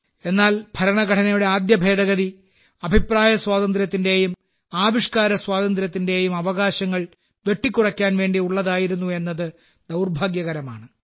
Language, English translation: Malayalam, But this too has been a misfortune that the Constitution's first Amendment pertained to curtailing the Freedom of Speech and Freedom of Expression